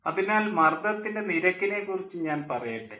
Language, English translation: Malayalam, let me tell you what is pressure ratio